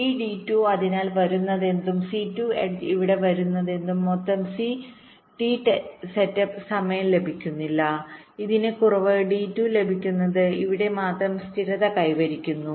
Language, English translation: Malayalam, this d two, so whatever is coming c two edge, that the whatever is coming here, it is not getting total t setup time, it is getting less